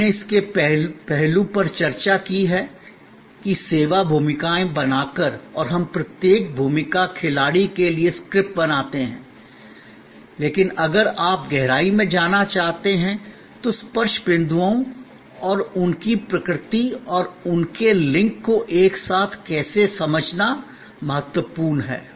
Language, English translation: Hindi, We have discussed one aspect of it that by create service roles and we creates scripts for each role player, but if you want to go into deeper, it is very important to understand the touch points and their nature and the how their link together on the flow